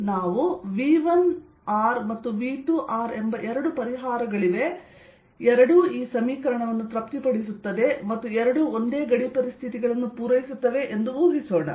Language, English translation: Kannada, let us assume there are two solutions: v one, r and v two are both satisfying this equation and both satisfying the same boundary conditions